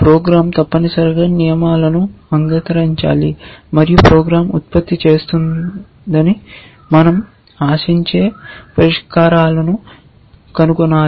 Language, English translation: Telugu, They must, your program must accept the rules and find the solutions that we expect the program to produce